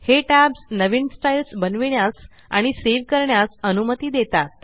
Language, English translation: Marathi, These tabs allow us to create and save new styles